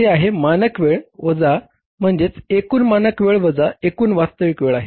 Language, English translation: Marathi, That the standard time minus the standard time minus total actual time